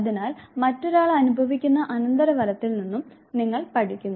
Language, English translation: Malayalam, And therefore, what you do you learn from the consequence that the other person experience